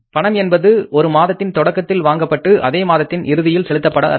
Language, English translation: Tamil, So, borrowing in the beginning of one month and repayment at the end of the next month